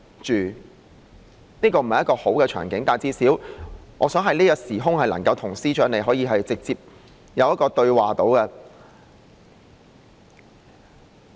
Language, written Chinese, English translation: Cantonese, 這並非一個好的場景，但最少我想在這個時空能夠與司長直接對話。, This is not a desirable occasion but at least I wish to have a direct dialogue with the Chief Secretary in this forum now